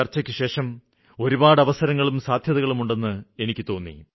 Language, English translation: Malayalam, After this meeting I felt that there are numerous options and endless possibilities